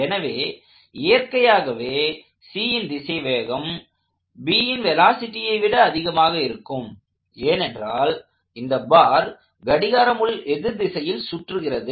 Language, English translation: Tamil, So, the velocity of C, especially in the upward direction should naturally be more than the velocity of B primarily because the bar is rotating in a counter clockwise sense